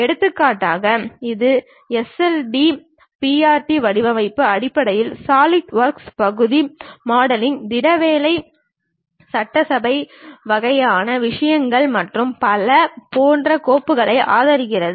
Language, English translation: Tamil, For example it supports its own kind of files like SLDPRT format, basically Solidworks Part modeling, solid work assembly kind of things and so on